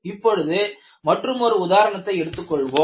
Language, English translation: Tamil, We take another example